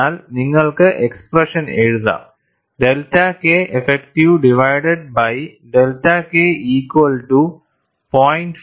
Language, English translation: Malayalam, See here, whichever way it goes out, but you can write the expression, delta K effective divided by delta K equal to 0